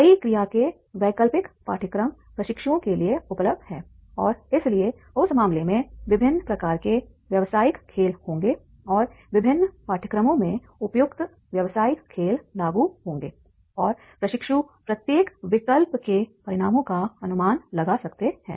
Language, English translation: Hindi, Several alternative courses of actions are available to trainees and therefore in that case there will be the different types of the business games and in the different courses there will be the appropriate business game will be applicable and trainees can estimate the consequences of each alternative